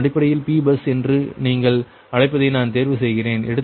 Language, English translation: Tamil, this term that i choose the your, what you call p bus